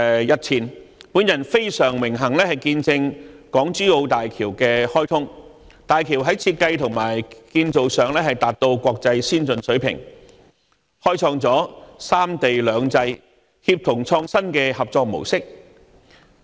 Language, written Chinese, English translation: Cantonese, 日前，我很榮幸見證港珠澳大橋的開通，大橋在設計和建造上達到國際先進水平，開創了三地兩制、協同創新的合作模式。, The other day I had the honour of witnessing the commissioning of the Hong Kong - Zhuhai - Macao Bridge . Attaining international state - of - the - art standards in design and construction the Bridge showcases unprecedented cooperation among three places under two systems for a project of collaborative innovation